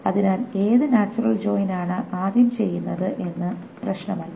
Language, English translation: Malayalam, So it doesn't matter which natural join is first done